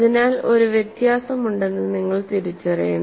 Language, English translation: Malayalam, So, you have to recognize that, there is a difference